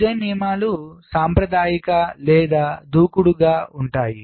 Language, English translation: Telugu, design rules can be conservative or aggressive